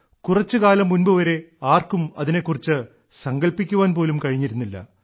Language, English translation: Malayalam, Perhaps, just a few years ago no one could have imagined this happening